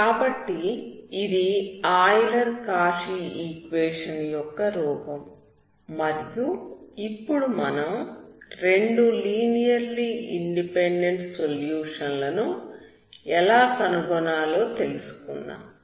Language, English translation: Telugu, So this form is of Euler’s Cauchy equation, and to know how to solve for two linearly independent solutions